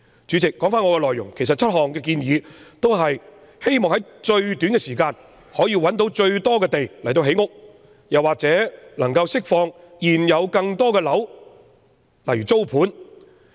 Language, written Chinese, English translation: Cantonese, 主席，說回我的議案內容，其實7項建議均旨在於最短時間內找到最多土地建屋或釋放更多現有單位以提供租盤。, Going back to my motion President the seven recommendations actually all seek to identify as much land as possible for housing construction or release more existing flats for rental purpose in the shortest possible time